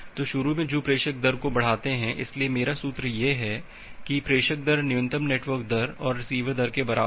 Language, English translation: Hindi, So, initially which increase the sender rate, so once so my formula is that sender rate is equal to minimum of network rate and receiver rate